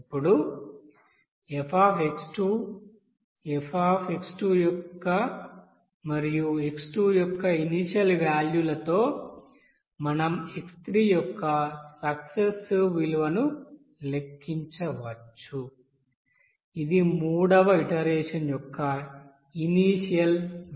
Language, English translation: Telugu, Now with this values of f , f dash x 2 and initial value of x2, we can calculate the successive value of x3 which will be the initial value of the third iteration